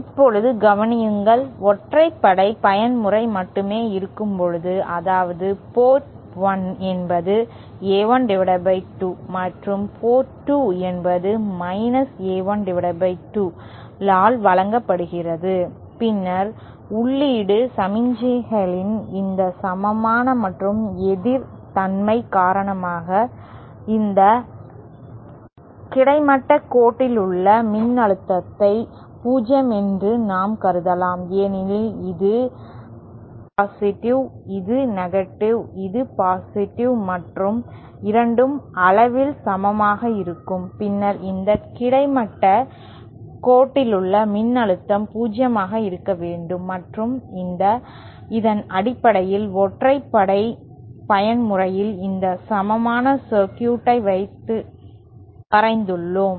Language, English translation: Tamil, Now consider when only the odd mode is present, that is port 1 is fed by A1 upon 2 and port 2 is fed by A1 upon 2, then because of this equal and opposite nature of the input signals, we can assume that the voltage along this horizontal line is 0 because this is +, this is this is + and both are equal in magnitude, then the voltage along this horizontal line should be 0 and based on this we have drawn this equivalent circuit for the odd mode